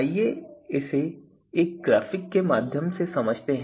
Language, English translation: Hindi, So, let us understand this through a graphic here